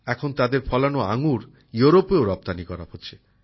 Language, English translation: Bengali, Now grapes grown there are being exported to Europe as well